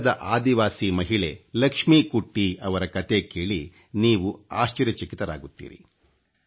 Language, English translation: Kannada, You will be pleasantly surprised listening to the story of Keralas tribal lady Lakshmikutti